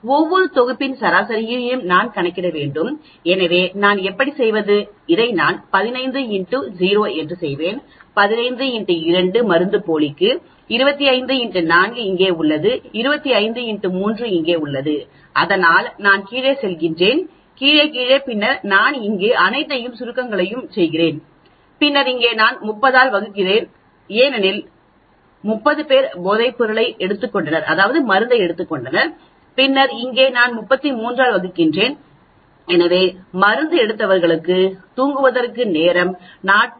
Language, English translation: Tamil, I need to calculate the average of each set, so how do I do, I will do 15 into 0 this, 15 into 2 is for the placebo, 25 into 4 is here, 25 into 3 is here, so like that I do go down, down, down and then I do all the summation here and then here I divide by 30 because there are 30 people who took the drug, then here I divide by 33 so it took 40